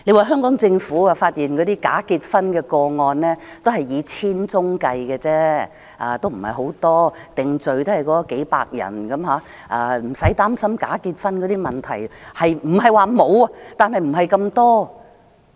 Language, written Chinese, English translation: Cantonese, 香港政府說，假結婚的個案只有千宗，不算太多，定罪只有數百人，不用擔心假結婚的問題；不是說沒有，但不是太多。, The Hong Kong Government said that there are only 1 000 cases of bogus marriage which is not a huge figure and those convicted are only in the hundreds so there was no need to worry about bogus marriages . Not that there are none but they are not numerous